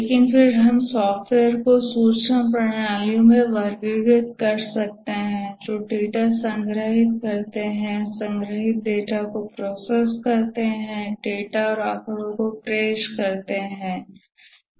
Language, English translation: Hindi, But then you can also classify the software into either information systems which store data, process the stored data, present the data and statistics